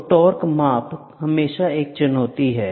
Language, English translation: Hindi, So, torque measurement is always a challenge